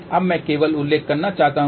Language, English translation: Hindi, Now, I just want to mention